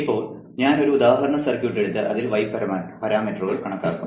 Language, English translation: Malayalam, for instance, lets say you had a circuit whose y parameters are given, or you have calculated them already